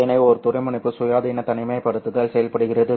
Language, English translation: Tamil, So this is how a polarization independent isolator works